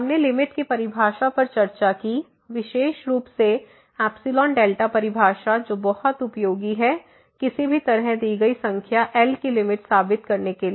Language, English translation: Hindi, We have also discussed the definition of the limit in particular the epsilon delta definition which is very useful to prove somehow that a given number L is the limit